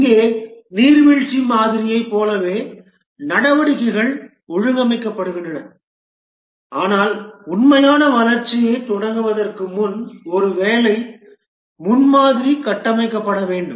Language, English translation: Tamil, Here, just like the waterfall model, the activities are organized but then before starting the actual development, a working prototype must be built